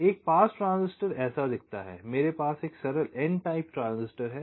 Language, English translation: Hindi, so a pass transistor looks like this: i have a simple n type transistor